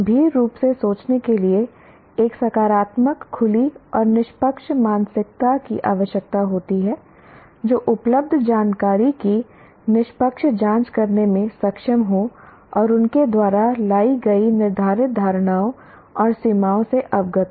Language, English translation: Hindi, Thinking critically requires a positive, open and fair mindset that is able to objectively examine the available information and is aware of the laid assumptions and limitations brought about by them